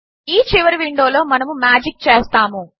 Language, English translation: Telugu, This final window is where we will do the magic